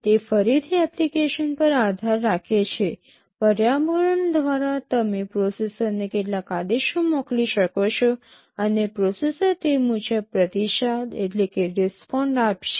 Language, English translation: Gujarati, It depends again on the application, through the environment you can send some commands to the processor, and the processor will respond accordingly